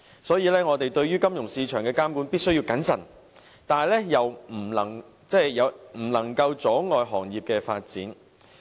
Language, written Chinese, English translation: Cantonese, 所以，我們對於金融市場的監管必須謹慎，但又不可以阻礙行業發展。, Therefore we must regulate the financial market with prudence but we should not hinder the industrys development